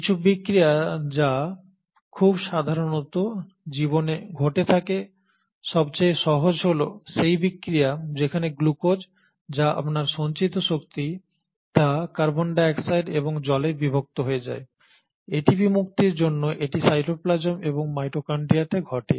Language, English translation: Bengali, And then some of the reactions which very commonly occur in life, the most easy one is the reaction where the glucose which is your stored energy is kind of broken down into carbon dioxide and water, this happens in cytoplasm and mitochondria for the release of ATP